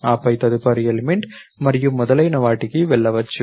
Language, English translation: Telugu, Then go to the next element and so on